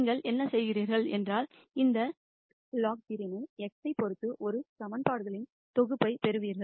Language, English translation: Tamil, And what you do is you mini mize this Lagrangian with respect to x to get a set of equations